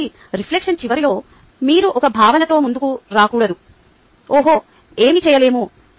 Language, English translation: Telugu, so at the end of reflection, it should not be that you come up with a feeling, oh, nothing can be done